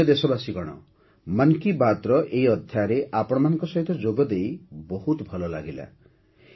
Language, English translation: Odia, My dear countrymen, it was great to connect with you in this episode of Mann ki Baat